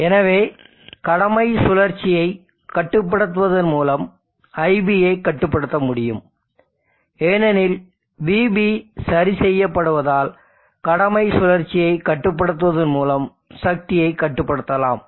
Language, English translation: Tamil, So IB can be controlled by controlling the duty cycle, because VB is fixed and therefore, power can be controlled by controlling the duty cycle as VB is fixed